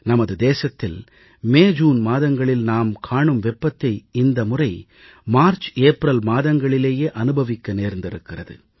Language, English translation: Tamil, The heat that we used to experience in months of MayJune in our country is being felt in MarchApril this year